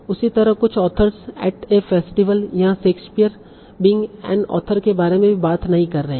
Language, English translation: Hindi, Similarly here some authors at a festival, they are not talking about Shakespeare being an author